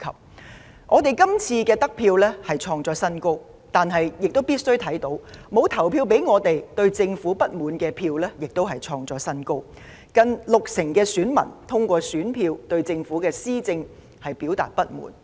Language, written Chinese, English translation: Cantonese, 雖然我們這次的得票創新高，但必須承認的是，沒有投票給我們、對政府不滿的票數亦創新高，近六成選民通過選票對政府施政表達不滿。, Although we have won a record - high number of votes this time we must admit that the number of those who are dissatisfied with the Government and have not voted for us is also a record high . Nearly 60 % of the voters have expressed through their ballots their dissatisfaction with the administration by the Government